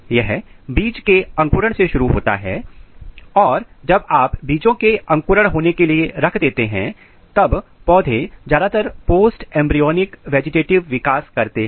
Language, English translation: Hindi, This starts with the seed germination and once you put seeds for the germination plants undergo mostly post embryonic vegetative development